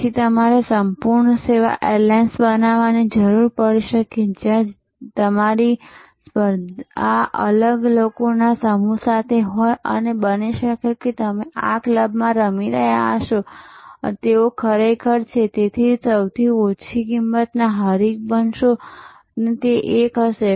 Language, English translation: Gujarati, You then may need to become a full service airlines, where your competition will be a different set of people and may be then you will be playing in this club and they are actually therefore, you will become the lowest cost competitor and that will be an advantage